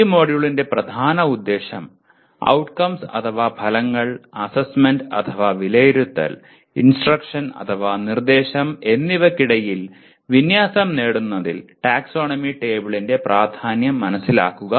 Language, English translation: Malayalam, Main outcome of this module is understand the importance of taxonomy table in attainment of alignment among outcomes, assessment and instruction